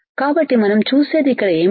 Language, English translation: Telugu, So, what we see here